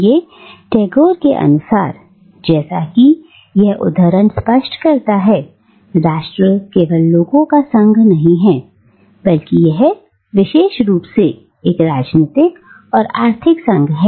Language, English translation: Hindi, ” So according to Tagore, as this quotation makes clear, nation is not just any union of people but rather it is specifically a political and economic union